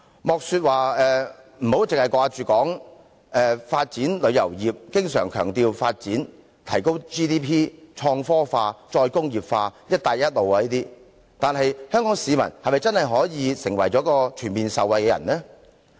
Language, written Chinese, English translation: Cantonese, 我們討論發展旅遊業，經常強調要發展、提高 GDP、創科化、再工業化和"一帶一路"等，但香港市民是否真的可全面受惠呢？, When we discuss the development of the tourism industry we often stress the need for development increase of GDP promotion of creativity and technology re - industrialization Belt and Road Initiative and so on . However will the Hong Kong citizens really be able to generally benefit from these developments?